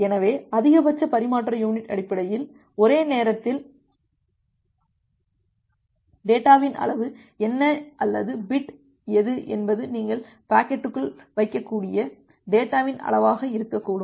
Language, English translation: Tamil, So, the maximum transmission unit is basically that at a single go, what is the amount of data or what is bit should be the amount of the data that you can put inside the packet